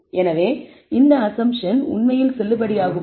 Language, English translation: Tamil, So, are these assumptions really valid